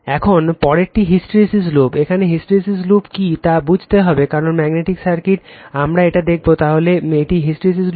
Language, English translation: Bengali, Now, next is the hysteresis loop, here we have to understand something what is hysteresis loop, because magnetic circuit you will see this one, so this hysteresis loop